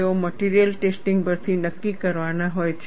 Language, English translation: Gujarati, They have to be determined from material testing